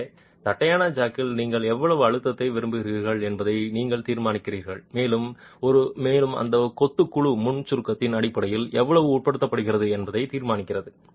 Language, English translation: Tamil, So, you determine how much pressure you want in the flat jack and that determines how much that masonry panel is subjected to in terms of pre compression